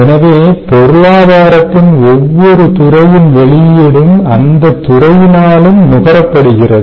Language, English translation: Tamil, ok, so the output of each sector of the economy that is consumed by itself